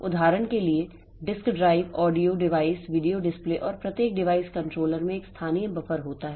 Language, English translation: Hindi, For example, disk drives, audio devices, video displays and each device controller has a local buffer